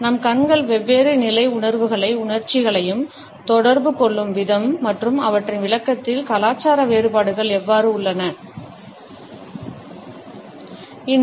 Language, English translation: Tamil, We have looked at communication through eyes, the way our eyes communicate different levels of feelings and emotions, and how the cultural variations in their interpretation exist